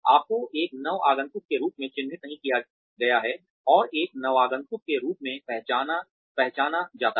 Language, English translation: Hindi, You are not labelled as a newcomer, and identified as a newcomer